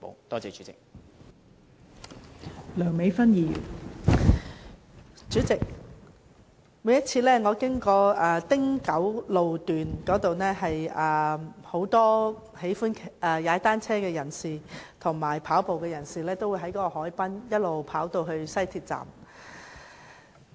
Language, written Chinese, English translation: Cantonese, 代理主席，每次我經過青山公路汀九段，都會看見很多喜歡踏單車和跑步的人士沿海濱一直前往西鐵站。, Deputy President every time I went past Castle Peak Road - Ting Kau Section I would see many people who like cycling and jogging moving towards the West Rail station along the harbourfront